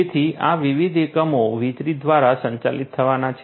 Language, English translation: Gujarati, So, these different units are going to be powered through electricity